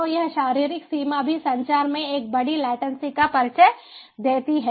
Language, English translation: Hindi, so this physical limitation also introduces large latency in communication